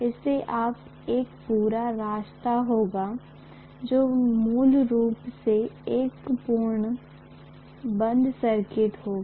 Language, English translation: Hindi, You will have a complete path; you know it will be a complete closed circuit basically